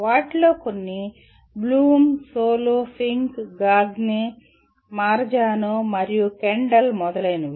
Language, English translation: Telugu, Some of them are Bloom, SOLO, Fink, Gagne, Marazano, and Kendall etc